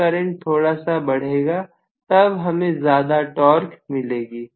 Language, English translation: Hindi, When the current increases slightly, I will have more torque